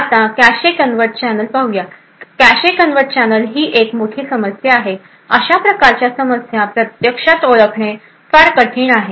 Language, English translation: Marathi, Now cache covert channels are a big problem it is very difficult to actually identify such problems